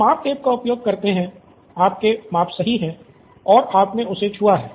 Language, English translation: Hindi, You do use the measuring tape, your measurements are perfect and you have touched him